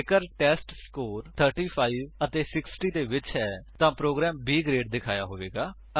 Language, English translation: Punjabi, If the testScore is between 35 and 60 then the program displays B Grade